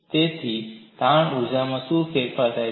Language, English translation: Gujarati, So, what is the change in strain energy